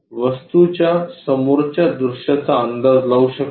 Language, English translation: Marathi, Can you guess the object front view